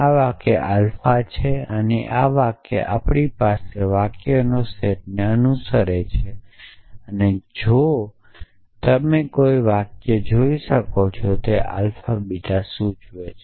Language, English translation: Gujarati, And the sentence belongs to the set of sentences at we have and if you can see a sentences alpha implies beta